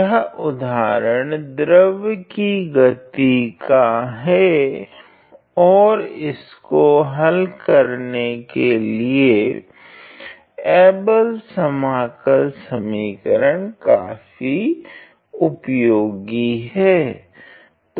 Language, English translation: Hindi, This example is in the area of fluid flow and again Abel’s integration equation is quite useful in solving this problem